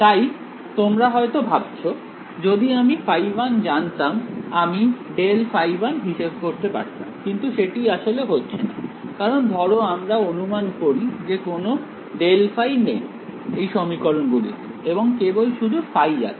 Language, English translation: Bengali, So, you must be thinking that, if I know phi 1 I can calculate grad phi one, but that is actually not going to happen, because let us assume that there was no grad phi in these equations and only phi